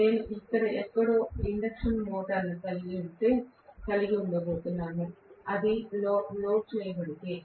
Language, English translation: Telugu, I am going to have the induction motor current probably somewhere here, if it is loaded